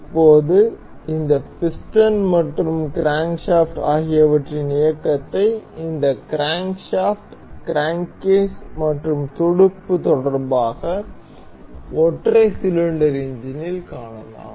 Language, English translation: Tamil, Now, you can see the motion of this piston and the crankshaft in relation with this crankshaft crank case and the fin as in a single cylinder engine